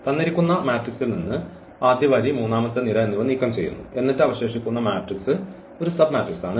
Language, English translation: Malayalam, So, matrix is given we remove let us say first row, the third column then whatever left this matrix is a submatrix or we can remove more rows more columns